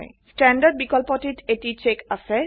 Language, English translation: Assamese, The option Standard has a check